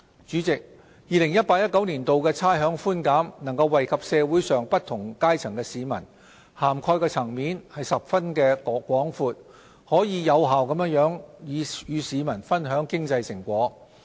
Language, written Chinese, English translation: Cantonese, 主席 ，2018-2019 年度的差餉寬減能惠及社會上不同階層的市民，涵蓋層面十分廣闊，可有效地與市民分享經濟成果。, President the rates concession in 2018 - 2019 will benefit people from various social strata thanks to its extensive coverage and effectively share the fruits of our economic success with the community